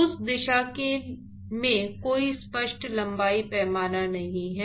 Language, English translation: Hindi, There is really no clear length scale in that direction